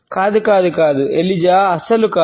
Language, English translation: Telugu, No no no no Eliza no here at all